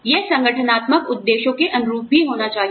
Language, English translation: Hindi, It also has to be in line, with the organizational objectives